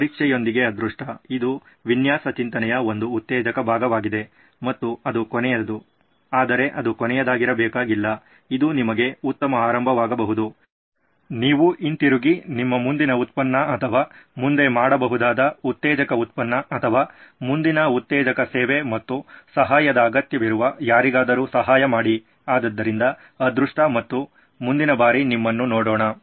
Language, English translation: Kannada, So good luck with testing, it is an exciting portion of design thinking and of course the last one but it need not be the last one, it could be a great beginning for you, you can go back and make your next product or next exciting product or next exciting service and help somebody who needs the help okay, so good luck and see you next time bye